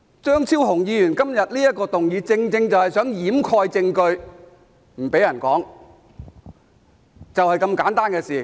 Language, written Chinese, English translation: Cantonese, 張超雄議員今天動議這項議案，正正是想掩蓋證據，不准別人說，就是這麼簡單的事。, Dr Fernando CHEUNG moves this motion today which is exactly an attempt to cover up the evidence and prohibit others from saying anything . The matter is that simple